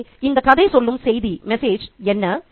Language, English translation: Tamil, So, what is the message then